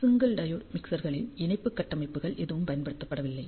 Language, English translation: Tamil, So, in case of single diode mixers, ah there are no coupling structures use